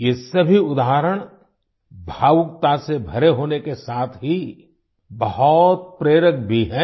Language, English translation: Hindi, All these examples, apart from evoking emotions, are also very inspiring